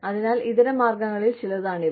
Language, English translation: Malayalam, So, these are, some of the alternatives